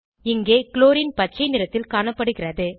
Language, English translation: Tamil, Chlorine is seen in green color here